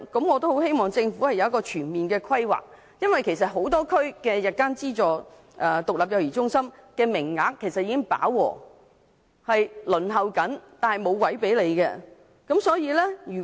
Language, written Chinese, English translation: Cantonese, 我希望政府能作出全面規劃，因為很多地區的日間資助獨立幼兒中心的名額其實已飽和，市民正在輪候，卻沒有空位。, I hope the Government can make comprehensive planning as places in aided standalone day child care centres in many districts have actually reached capacity . People are on the waiting list but there is no vacancy